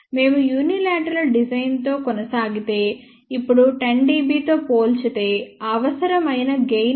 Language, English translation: Telugu, If we proceed with unilateral design, now in comparison with 10 dB which is the required gain 0